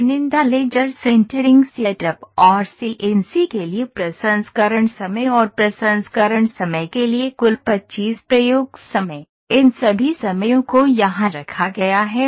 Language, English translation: Hindi, Total 25 experiments times for selective laser, sintering setup and processing time for this setting and processing time for CNC, all these times are put here